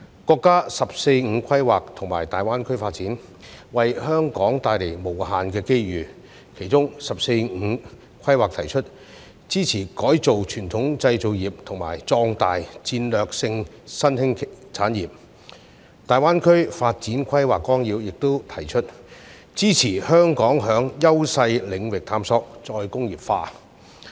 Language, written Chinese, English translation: Cantonese, 國家"十四五"規劃及粵港澳大灣區發展為香港帶來無限機遇，其中"十四五"規劃提出"支持改造傳統製造業"及"發展壯大戰略性新興產業"，而《粵港澳大灣區發展規劃綱要》亦提出"支持香港在優勢領域探索再工業化"。, The National 14th Five - Year Plan and the development of the Guangdong - Hong Kong - Macao Greater Bay Area have brought about unlimited opportunities to Hong Kong . The 14th Five - Year Plan also proposes to support the transformation of traditional manufacturing industries and strengthen strategic emerging industries whereas the Outline Development Plan for Guangdong - Hong Kong - Macao Greater Bay Area proposes to support Hong Kongs efforts in exploring re - industrialization in sectors where it enjoys advantages